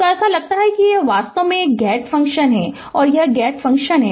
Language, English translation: Hindi, So, it is looks like it is a gate function actually, it is a gate function